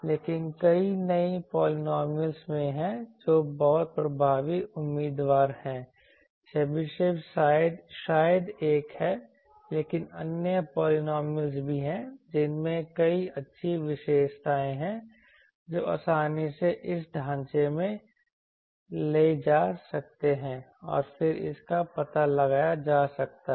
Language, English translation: Hindi, So, but there are various other polynomials which are also candidates very effective candidates Chebyshev maybe one but there are other polynomials also with are has various good characteristic which can be easily ported to this framework and then it we can be explored